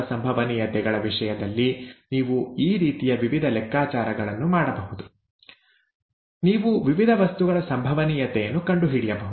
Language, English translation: Kannada, You could do various different calculations of this kind in terms of probabilities; you can find the probability of various different things